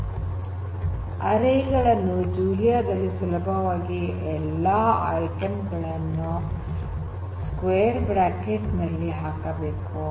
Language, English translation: Kannada, Arrays to build arrays in Julia you can do it very easily with the help of putting all these array items within square brackets